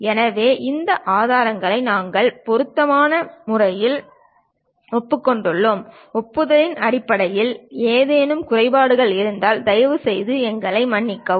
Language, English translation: Tamil, So, suitably we are acknowledging and if there are any omissions in terms of acknowledgement, please excuse us